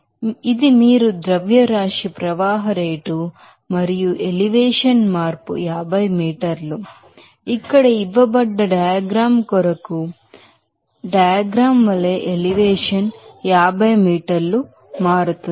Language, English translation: Telugu, So, this is you are mass flow rate and the elevation change is 50 meter, elevation changes 50 meter as for diagram given as for diagram given here